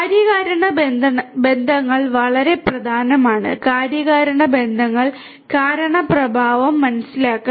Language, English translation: Malayalam, Causal relationships are very important; understanding the causal relationships, the cause effect